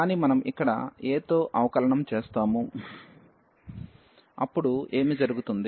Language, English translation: Telugu, But, if we differentiate here with respect to a, then what will happen